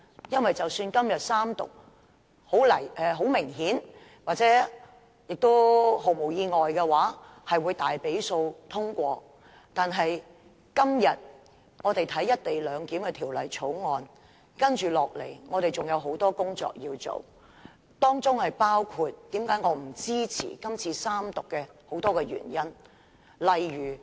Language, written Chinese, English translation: Cantonese, 因為即使今天《條例草案》三讀通過——很明顯，《條例草案》會毫不意外地以大多數三讀通過——但今天我們審議《條例草案》後，接下來仍要進行很多工作，這也是我不支持《條例草案》三讀的眾多原因之一。, I hope I can do so in the future because even if the Bill receives its Third Reading and is passed today and obviously and unsurprisingly the Bill can pass through Third Reading with majority votes there is still a lot of work to follow . This is also one of the many reasons I do not support the Third Reading of the Bill